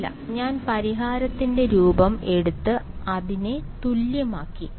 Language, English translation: Malayalam, No right I took the form of the solution I equated it